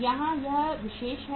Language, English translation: Hindi, Here it is particulars